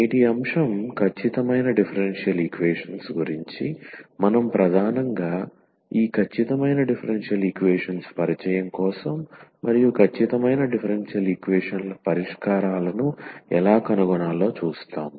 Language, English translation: Telugu, Today’s topic will be the exact differential equations, so we will mainly look for the introduction to these exact differential equations and also how to find the solutions of exact differential equations